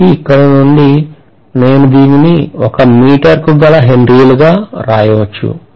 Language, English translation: Telugu, So from here, I should be able to write this as Henry per meter